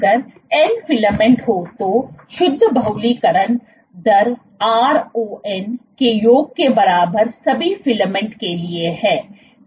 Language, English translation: Hindi, If there are n filaments, so, net polymerization rate is simply equal to summation of ron for all the filaments